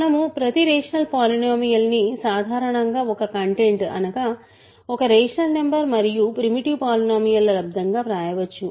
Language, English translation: Telugu, We can write every rational polynomial as a content which is in general a rational number times a primitive polynomial